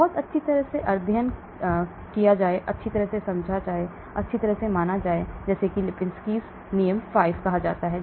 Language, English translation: Hindi, The very well studied, well understood, well considered is called Lipinski's rule of 5